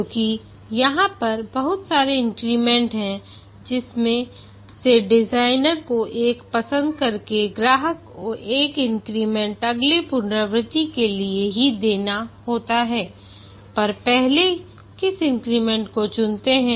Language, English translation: Hindi, Because there are several increments out of which the designer need to choose one of the increment for delivery in the next iteration, which increments should be selected first